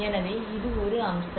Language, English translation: Tamil, So this is one aspect